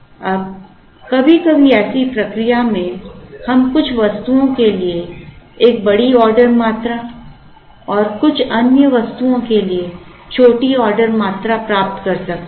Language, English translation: Hindi, Now, in such a process sometimes, we may end up getting a large order quantities for some items and small order quantities for some other items